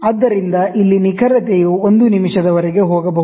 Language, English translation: Kannada, So, here the accuracy can go up to 1 minute